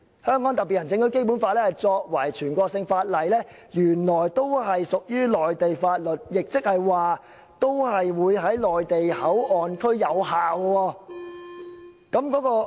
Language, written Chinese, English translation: Cantonese, 香港特別行政區《基本法》作為全國性法律，原來也屬"內地法律"，亦即是說在內地口岸區同樣生效。, As national laws the Basic Law of the HKSAR is also regarded as laws of the Mainland . In other words it is in force in MPA as well